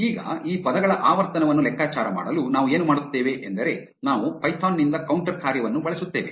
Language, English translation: Kannada, Now, to calculate the frequency of these words, what we will do is we will use the counter function from python